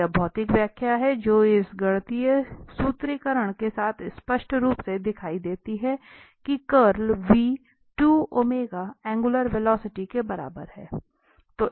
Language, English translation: Hindi, So, that is the physical interpretation which is clearly visible with this mathematical formulation that the curl v is equal two the omega, the angular velocity